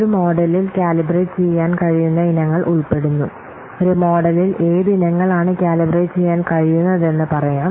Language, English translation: Malayalam, Items that can be calibrated in a model include, let's see in a model what items can be calibrated